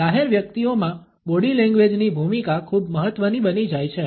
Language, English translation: Gujarati, In public figures the role of the body language becomes very important